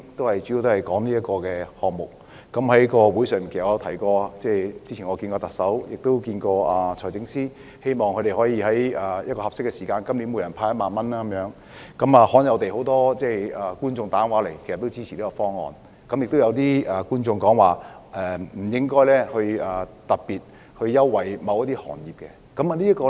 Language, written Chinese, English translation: Cantonese, 我在節目中提到，我早前曾與特首及財政司司長會面，希望他們今年可以在合適的時間向每名市民派發1萬元，這方案罕有地獲得很多觀眾致電支持，但亦有觀眾表示不應特別優待某些行業。, I mentioned in the programme that earlier on I had met with the Chief Executive and the Financial Secretary hoping they could disburse 10,000 to each member of the public at an appropriate time this year . Surprisingly this proposal received many viewers support over the phone but some viewers also said that preferential treatment should not be particularly given to certain industries